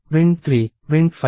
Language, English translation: Telugu, Print 3 Print 5